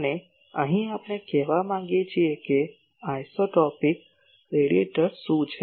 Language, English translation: Gujarati, And here we want to say that what is isotropic radiator